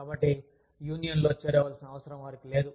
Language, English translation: Telugu, So, they do not feel, the need to join a union